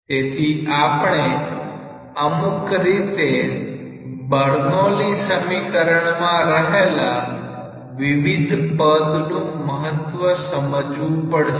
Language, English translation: Gujarati, So, we have now sort of clear picture on the significances of different terms in the Bernoulli s equation